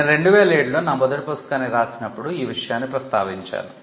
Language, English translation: Telugu, Now, I had mentioned this when I wrote my first book in 2007